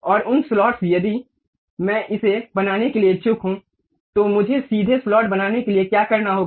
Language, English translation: Hindi, And those slots if I am interested to construct it, what I have to do pick straight slot